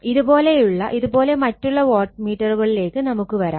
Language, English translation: Malayalam, So, if you would similarly for other wattmeter we will come to that